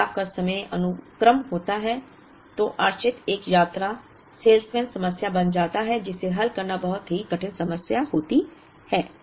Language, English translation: Hindi, When the changeover times are sequence dependent becomes a traveling salesman problem which by itself is a very difficult problem to solve